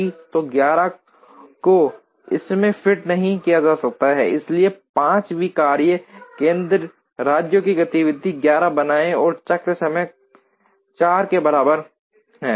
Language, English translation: Hindi, So, 11 cannot be fit into this, so create a 5th workstation states activity 11 and has cycle time equal to 4